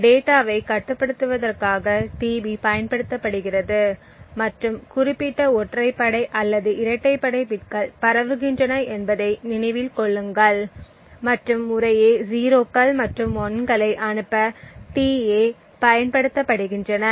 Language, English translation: Tamil, Recollect that tB are used in order to control the data and specific odd or even bits being transmitted and tA are used to send 0s and 1s respectively